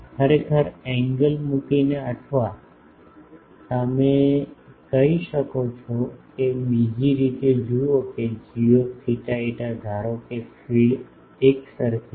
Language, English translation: Gujarati, Actually, by putting angle or you can say that see the other way that g theta phi suppose a thing the feed is uniform